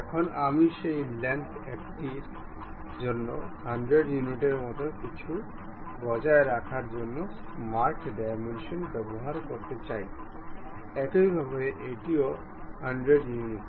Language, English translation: Bengali, Now, I would like to use smart dimensions to maintain something like 100 units for one of that length; similarly this one also 100 units